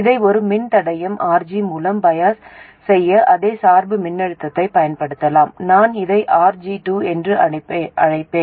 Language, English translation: Tamil, You could use the same bias voltage to bias this through a resistor RG of course, I will call it RG2